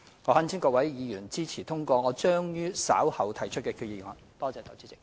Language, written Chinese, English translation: Cantonese, 我懇請各位議員支持通過將於稍後動議的擬議決議案。, I implore Members to support the passage of the proposed resolution to be moved